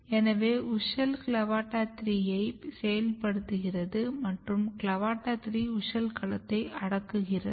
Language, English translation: Tamil, So, wuschel is activating CLAVATA3 and CLAVATA 3 is repressing wuschel domain